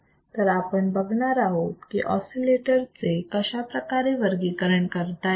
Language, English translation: Marathi, So, let us see kinds of oscillate and how we can design this oscillator